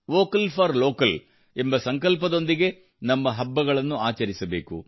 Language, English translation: Kannada, We have to celebrate our festival with the resolve of 'Vocal for Local'